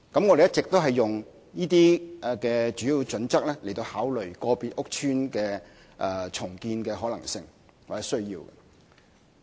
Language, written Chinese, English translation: Cantonese, 我們一直沿用這些主要準則來考慮個別屋邨的重建可能性或需要。, We have all along adopted these major criteria to determine whether it is possible or necessary to redevelop individual PRH estates